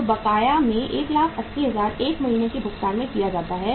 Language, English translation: Hindi, So out of 180,000 1 month is paid in arrears